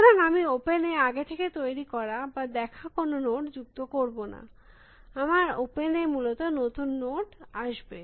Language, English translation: Bengali, So, I will not add any note that I have generated before or seen before to open, my open will get new notes essentially